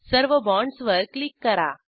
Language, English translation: Marathi, Then click on all the bonds